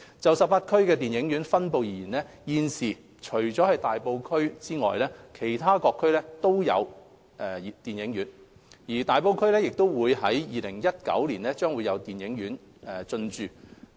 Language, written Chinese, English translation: Cantonese, 就18區電影院分布而言，現時除了大埔區外，其他各區均設有電影院。而大埔區在2019年亦將會有電影院進駐。, Out of the 18 District Council districts all of them now have cinemas except Tai Po which will also see the opening of a cinema in 2019